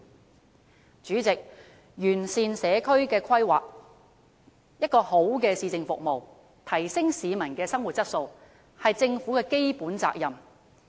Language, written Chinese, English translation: Cantonese, 代理主席，完善社區規劃、提供良好的市政服務和提升市民的生活質素，是政府的基本責任。, Deputy President perfecting community planning providing good municipal services and enhancing peoples quality of life are the basic responsibilities of the Government